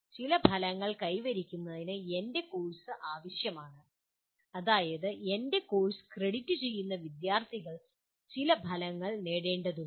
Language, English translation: Malayalam, My course is required to attain certain outcomes, that is students who are crediting my course are required to attain certain outcomes